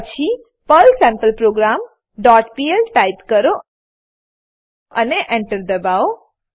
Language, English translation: Gujarati, Then type perl sampleProgram.pl and press Enter